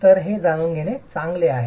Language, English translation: Marathi, So, this is something that is good to know